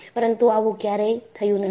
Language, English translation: Gujarati, But, this is not happened